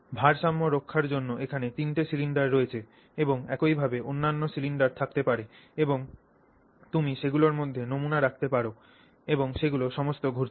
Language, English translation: Bengali, So, there are three cylinders here to balance the weight and you can similarly have other cylinders and you can put samples in all of them and they are all rotating around like that